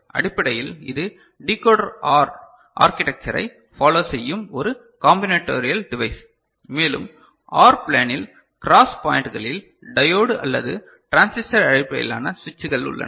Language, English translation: Tamil, Essentially it is a combinatorial device following Decoder OR architecture and we have diode or transistor based switches placed in the cross points in the OR plane